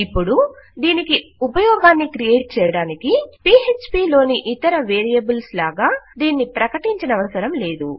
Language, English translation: Telugu, Now, to create the use for this, you dont need to declare it, as the other variables in Php